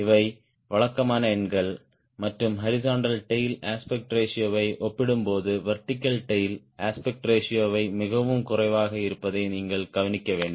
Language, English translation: Tamil, these are typical numbers and what is should notice that aspect ratio of vertical tail is is much less compared to the aspect ratio of the horizontal tail